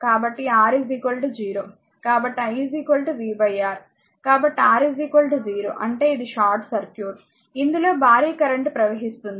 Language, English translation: Telugu, So, R is equal to 0 means it is a short circuit it a huge current will flow